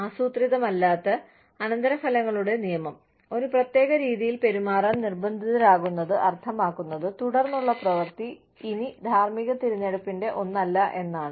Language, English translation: Malayalam, The law of unintended consequences, being forced to behave in a certain way means, that the subsequent act is no longer, one of ethical choice